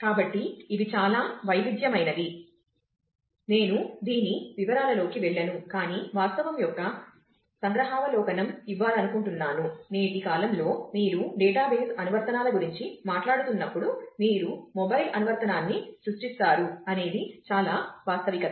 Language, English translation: Telugu, So, these are very variety I will not go into details of this, but just wanted to give a glimpse of the fact, that in today’s time while you are talking about database applications then it is a very reality, that you will create that as a mobile app